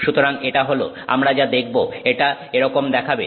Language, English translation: Bengali, So you will see data that looks like that